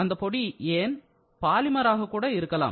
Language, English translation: Tamil, The power can also be polymer, why not